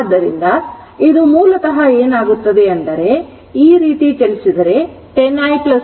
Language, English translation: Kannada, So, it is basically what will happen, 10 i, if we move like this, 10 i plus v is equal to 0